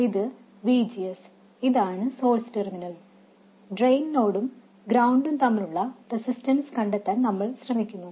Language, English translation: Malayalam, This is VGS, this is the source terminal, and we are trying to find the resistance between the drain node and ground